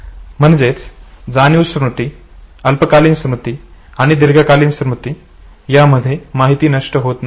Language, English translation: Marathi, So, sensory memory, short term memory, long term memory from everywhere we have no loss of information